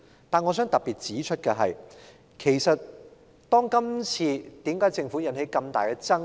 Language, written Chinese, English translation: Cantonese, 但我想特別指出的是，為甚麼政府今次會引起這麼大的爭議？, But what I wish to point out in particular is why the Government has provoked a public outcry this time around